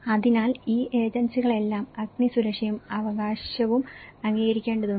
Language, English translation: Malayalam, So, all these agencies has to approve, fire and safety right